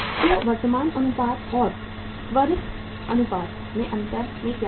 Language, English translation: Hindi, So in the difference in the current ratio and the quick ratio is what